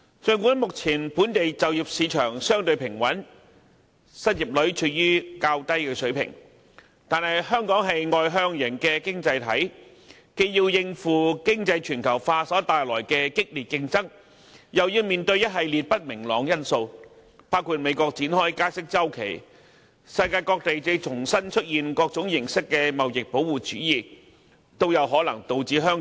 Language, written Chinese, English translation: Cantonese, 儘管目前本地就業市場相對平穩，失業率處於較低水平，但香港是外向型經濟體，既要應付經濟全球化所帶來的激烈競爭，又要面對一系列不明朗因素，包括美國展開加息周期，以及世界各地重現各種形式的貿易保護主義等。, Even though the local employment market is relatively stable and the unemployment rate is quite low we must not forget that Hong Kong as an externally - oriented economy must deal with the fierce competition brought by economic globalization and face a series of uncertain factors including the beginning of interest rate normalization in the United States and the re - emergence of various forms of trade protectionism in different parts of the world